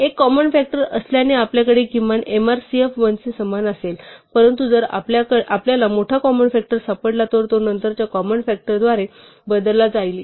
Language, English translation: Marathi, Since one is the common factor we will at least have mrcf equal to 1, but if we find a larger common factor the one will be replaced by the later common factor